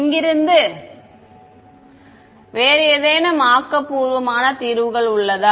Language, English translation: Tamil, Any other any creative solutions from here